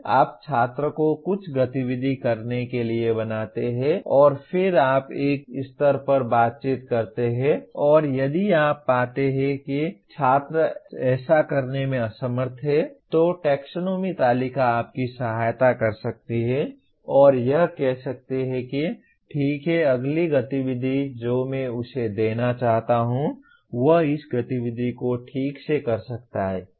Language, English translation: Hindi, You make the student to do some activity and then you interact at one to one level and if you find the student is unable to do that, the taxonomy table can help you and say okay what is the next activity that I want to give him so that he can perform this activity properly